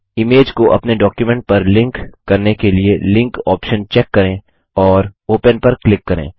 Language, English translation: Hindi, To link the image to your document, check the Linkoption and click Open